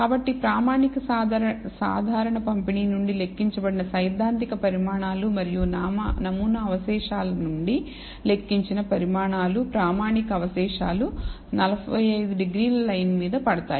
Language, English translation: Telugu, So, the theoretical quantiles computed from the standard normal distribution and the quantiles computed from the sample residuals, standardized residuals, the fall on the 45 degree line